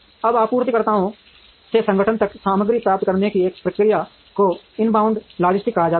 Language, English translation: Hindi, Now, this process of getting the material from suppliers to the organization is called inbound logistics